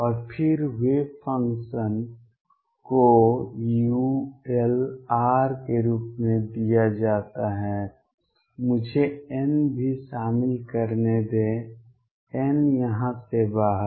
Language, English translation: Hindi, And then the wave function psi r is given as u l r let me also include n, n out here